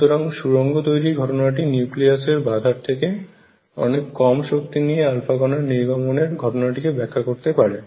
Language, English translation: Bengali, So, tunneling phenomena explained the alpha particle coming out from a nucleus with energy much less than the barrier height